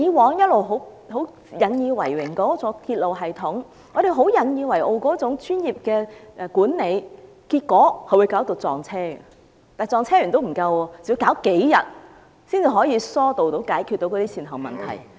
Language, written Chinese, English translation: Cantonese, 我們過去一直引以為榮的鐵路系統，引以自豪的專業管理，結果卻引致列車相撞，而且不單列車相撞，更要處理數天才能疏導、解決善後問題。, We have all along taken pride in our railway system proud of its professional management but it has led to a train collision . Apart from the train collision it even took a few days for them to deal with it and clear the aftermath